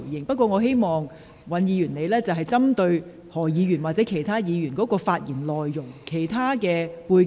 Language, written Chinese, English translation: Cantonese, 不過，我希望尹議員針對何議員或其他議員的相關發言內容而作回應。, However I hope that Mr WAN responds pointedly to the content of the relevant speeches made by Dr HO or other Members